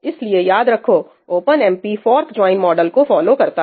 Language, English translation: Hindi, remember, OpenMP follows the fork join model